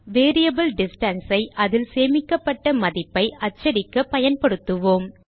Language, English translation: Tamil, Now we shall use the variable distance to print the value stored in it